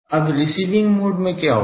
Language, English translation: Hindi, Now, what will happen in the receiving mode